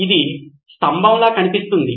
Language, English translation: Telugu, This looks like a pillar